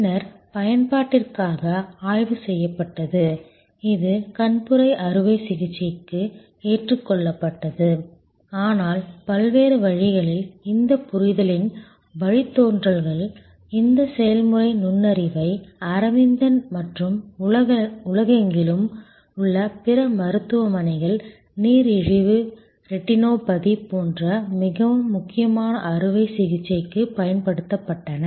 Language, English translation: Tamil, And has been then studied for use, this was adopted for cataract surgery, but in many different ways, the derivatives of this understanding this process insight were then applied by Aravind and other hospitals around the world for treating more critical operations, like say diabetic retinopathy